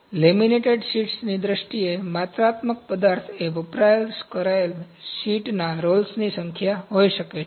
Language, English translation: Gujarati, So, quantitative material in the terms of laminated sheets can be the number of rolls of the sheet of the consumed